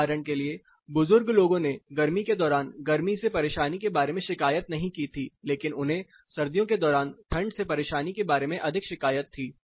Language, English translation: Hindi, For examples older peoples did not complain about heat discomfort during summer, but they had more comforts more complaints about cold discomfort during winter